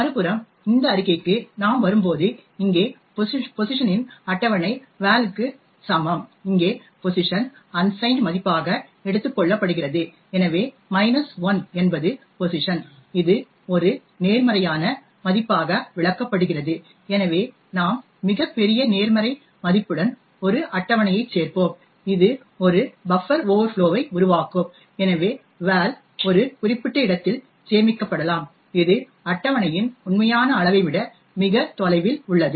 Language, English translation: Tamil, On the other hand when we come to this statement over here a table of pos equal to val over here pos is taken as an unsigned value so the minus 1 which is pos is interpreted as a positive value and therefore we would have a table added to a very large positive value which is a causing a buffer overflow, so the val could be stored in a particular location which is much further away than the actual size of the table